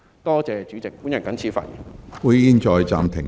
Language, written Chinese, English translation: Cantonese, 多謝主席，我謹此發言。, Thank you President . I so submit